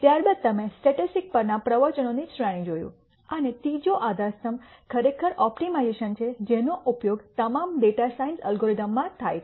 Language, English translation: Gujarati, Following that you saw series of lectures on statistics and the third pillar really is optimization, which is used in pretty much all data science algorithms